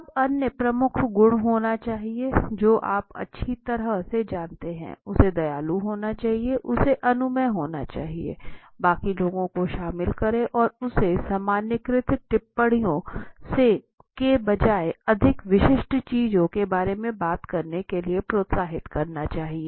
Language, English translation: Hindi, Now some other key quality one has to be extremely you know well because he has to be kind, he has to be permissive; involve the rest of the people and he must encourage talking about more specific thing rather than the generalized comments